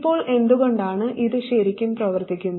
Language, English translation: Malayalam, Now why does this really work